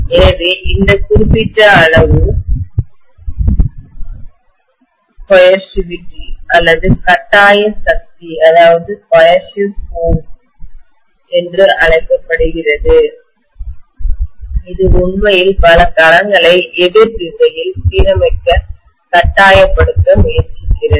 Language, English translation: Tamil, So this particular quantity is known as coercivity or coercive force which is actually trying to coerce many of the domains to align into the opposite sense